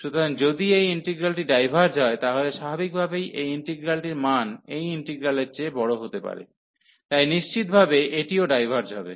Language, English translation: Bengali, So, if this integral diverges, so naturally this integral the value is suppose to be bigger than this integral, so definitely this will also diverge